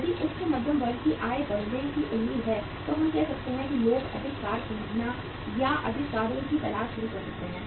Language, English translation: Hindi, If the income of the upper middle class is expected to go up we can say that people may start say buying more cars or looking for more cars